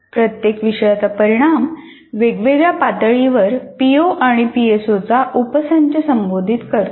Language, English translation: Marathi, And each course outcome addresses a subset of POs and PSOs to varying levels